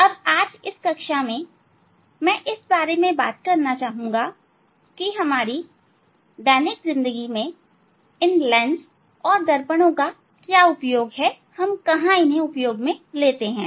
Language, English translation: Hindi, Now in this class, I would like to discuss what is the use of this lens and mirror in our day to day life